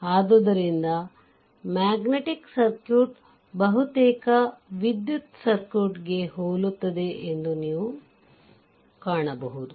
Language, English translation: Kannada, So, you will find magnetic circuit also will be analogous to almost electrical circuit, right